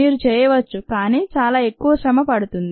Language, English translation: Telugu, ah, you can, but it takes a lot more effort